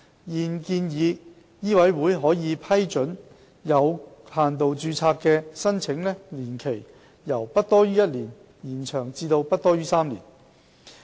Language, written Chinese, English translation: Cantonese, 現建議醫委會可批准有限度註冊的申請年期，由不多於1年延長至不多於3年。, It is proposed that the validity period of limited registration that MCHK can approve be extended from not exceeding one year to not exceeding three years